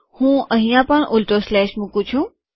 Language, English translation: Gujarati, Let me also put a reverse slash here